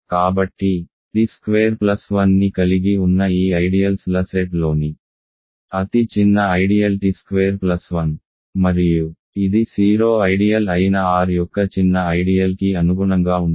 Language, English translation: Telugu, So, the smallest ideal in this set of ideals of that contains t squared plus 1 is t squared plus 1 and it corresponds to the smallest ideal of R which is the 0 ideal